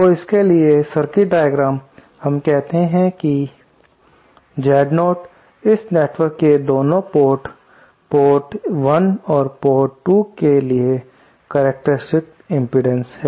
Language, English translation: Hindi, So, the circuit diagram for that, let us say Z0 is the characteristic impedance at both port 1 and port 2 of this network